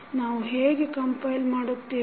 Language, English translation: Kannada, How we will compile